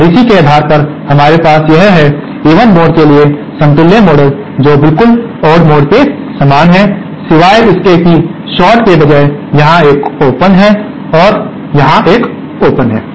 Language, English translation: Hindi, And based on this, we have this equivalent model of for the even mode which is exactly the same as odd mode, except that instead of short, there is an open here and there is an open here